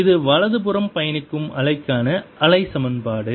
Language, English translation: Tamil, and this is the wave equation for wave that is traveling to the right